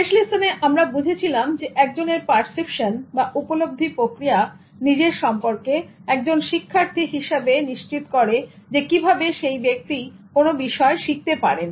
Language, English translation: Bengali, In that lesson, we understood that once perception about oneself as a learner determines the way a person learns a subject